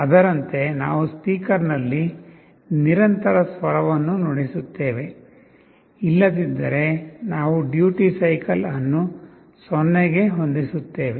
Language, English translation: Kannada, Accordingly we play a continuous note on the speaker, but otherwise we set the duty cycle to 0